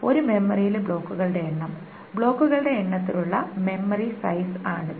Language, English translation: Malayalam, Suppose the number of blocks in a memory, this is the memory size in number of blocks